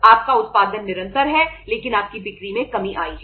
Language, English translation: Hindi, Your production is continuous but your sales have come down